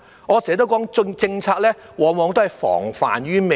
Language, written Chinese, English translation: Cantonese, 我常說，政策須防患於未然。, As I often said policies should be introduced to prevent problems